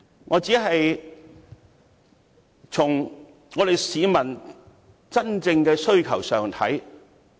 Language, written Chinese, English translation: Cantonese, 我只是從市民真正的需求來考慮事情。, My only consideration is the genuine aspiration of the public